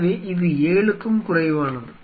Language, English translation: Tamil, So, it means less than 7